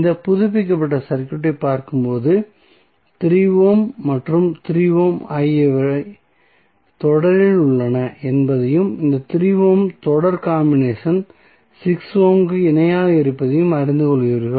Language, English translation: Tamil, So, when you see this updated circuit you will come to know that 3 ohm 3 ohm are in series and the series combination of these 3 ohms is in parallel with 6 ohm